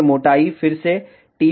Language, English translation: Hindi, And thickness should be again t